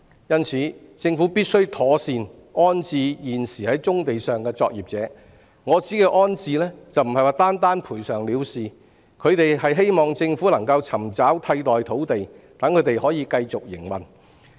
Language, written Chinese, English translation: Cantonese, 因此，政府必須妥善安置現時在棕地上的作業者，我指的安置不是單單賠償了事，他們希望政府可以尋找替代土地，讓他們能夠繼續營運。, It is obvious that the operations on brownfield sites are indispensable . Therefore the Government must accommodate the existing operators on brownfield sites . In accommodating them I do not only refer to compensation as they hope that the Government can look for alternative sites for them to continue their operations